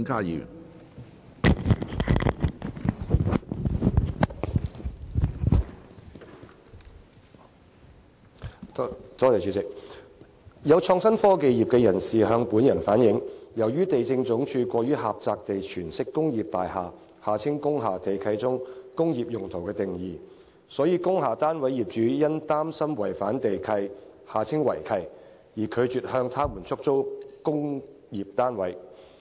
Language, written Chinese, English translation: Cantonese, 有創新科技業人士向本人反映，由於地政總署過於狹窄地詮釋工業大廈地契中"工業用途"的定義，所以工廈單位業主因擔心違反地契而拒絕向他們出租工廈單位。, Some members of the innovation and technology IT industry have relayed to me that since the Lands Department LandsD interprets the definition of industrial use in the land leases of industrial buildings too narrowly owners of industrial building units have refused to lease the units to them lest the land leases may be breached